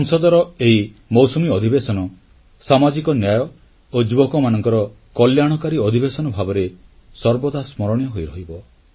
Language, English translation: Odia, This Monsoon session of Parliament will always be remembered as a session for social justice and youth welfare